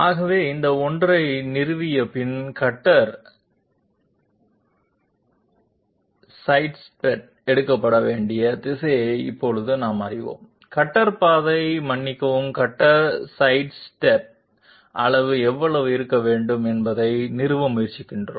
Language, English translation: Tamil, So after having established this one that is we now know the direction in which the cutter sidestep has to be taken, we are trying to establish the magnitude how much should be the cutter path sorry cutter sidestep magnitude